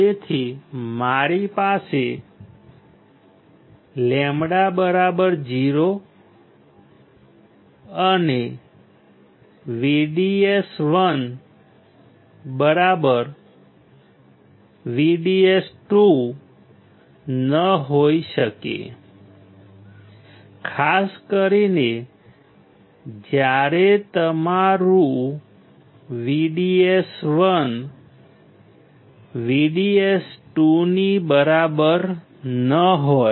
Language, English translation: Gujarati, Hence, I cannot have lambda equals to 0, and VDS1 equals to VDS 2, particularly when your VDS1 is not equal to VDS 2